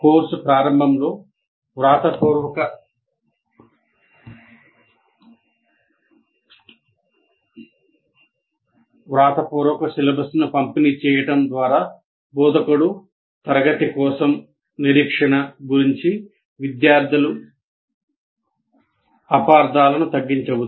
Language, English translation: Telugu, And by distributing a written syllabus at the beginning of the course, the instructor can minimize student misunderstandings about expectation for the class